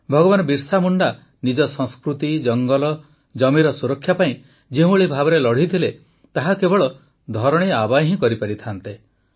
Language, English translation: Odia, The way Bhagwan Birsa Munda fought to protect his culture, his forest, his land, it could have only been done by 'Dharti Aaba'